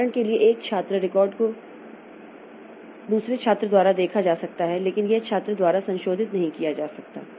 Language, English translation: Hindi, For example, the student record may be viewed by a student but it may not be modifiable by the student